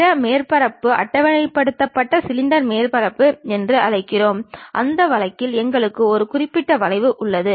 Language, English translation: Tamil, Other surfaces are called tabulated cylinder surfaces; in that case we have one particular curve